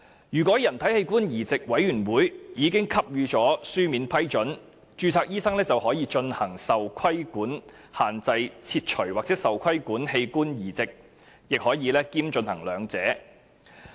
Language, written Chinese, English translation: Cantonese, 如人體器官移稙委員會已給予書面批准，註冊醫生便可進行受規限器官切除或受規限器官移植，亦可兼進行兩者。, If written approval is given by the Human Organ Transplant Board the Board a registered medical practitioner may carry out a restricted organ removal or a restricted organ transplant or both . Cap